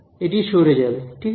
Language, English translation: Bengali, It will just get shifted right